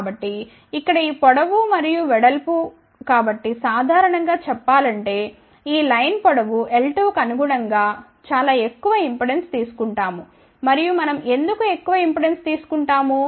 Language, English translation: Telugu, So, this length here and the width so, generally speaking we take a very high impedance corresponding to this line length l 2 and why we take very high impedance